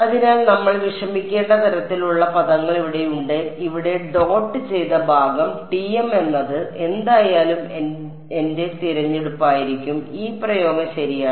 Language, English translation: Malayalam, So, the kind of term we have to worry about is here is dotted part over here TM is anyway going to be my choice what am I left with is this expression right